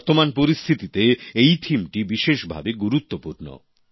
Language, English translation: Bengali, This theme is especially pertinent in the current circumstances